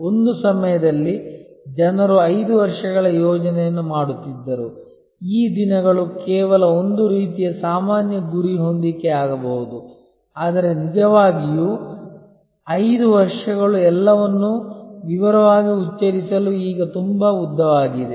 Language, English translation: Kannada, At one time people used to do 5 years planning, these days that can only be a sort of general goal setting, but really 5 years is now too long for spelling out everything in details